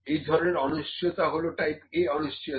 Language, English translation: Bengali, This kind of uncertainty is type A uncertainty